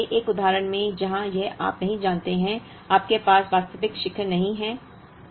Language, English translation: Hindi, In an example like this, where it is not you know, you do not have a real peak